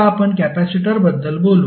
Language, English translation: Marathi, Now, let us talk about the capacitor